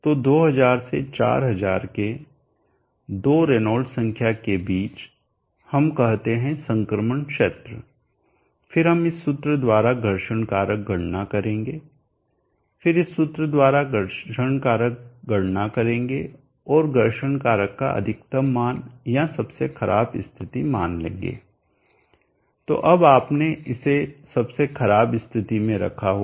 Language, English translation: Hindi, So between two renounce number of 2000 to 4000 we say that the transition region than we will calculate the friction factor by this formula and friction factor by this formula and then take the max value of worst ace value of the higher friction factor value so that then you would have rated it for under worst case conditions